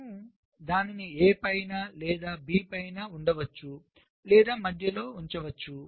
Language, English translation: Telugu, you can put it on top of a, you can put it on top of b, you can put it in the middle